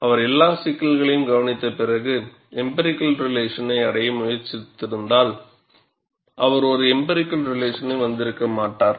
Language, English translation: Tamil, If he had looked at all issues and attempted to arrive at an empirical relation, he may not have arrived at an empirical relation at all